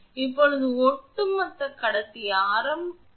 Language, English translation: Tamil, Now, the overall conductor radius 0